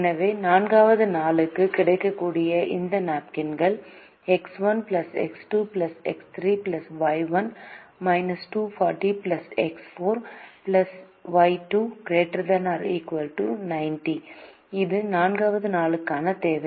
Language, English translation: Tamil, so these available napkins for the day four are x one plus x two plus x three plus y one minus two forty, plus x four plus y two should be greater than or equal to ninety, which is the demand for the fourth day